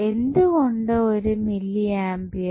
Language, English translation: Malayalam, So, we can connect 1 mili ampere